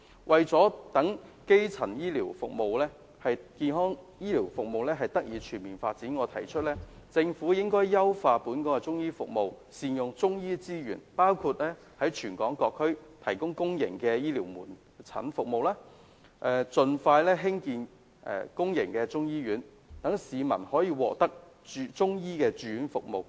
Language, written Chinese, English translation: Cantonese, 為了讓基層醫療服務得以全面發展，我提議政府應優化本港的中醫服務，善用中醫資源，包括在全港各區提供公營醫療中醫門診服務，盡快興建公營中醫醫院，讓市民可以獲得中醫住院服務。, In order to ensure the comprehensive development of primary health care services I propose that the Government should enhance Chinese medicine services in Hong Kong including providing public Chinese medicine outpatient services in various districts in Hong Kong and expeditiously building a public Chinese medicine hospital to provide Chinese medicine inpatient services for the public